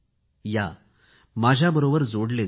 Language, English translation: Marathi, Come, get connected with me